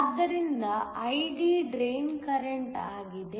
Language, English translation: Kannada, So, ID is the drain current